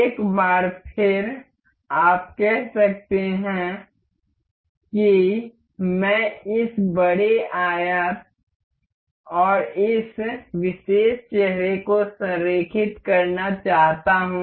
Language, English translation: Hindi, Once again, you can see say I want to align this particular face over this larger rectangle